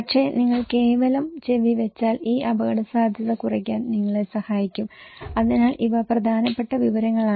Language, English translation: Malayalam, But also, that if you simply putting your ear that can help you to reduce this risk exposure okay, so these are important information